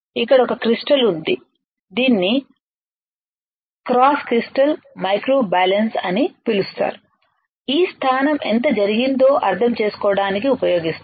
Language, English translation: Telugu, There is a crystal over here which is called cross crystal microbalance used to understand how much the position has been done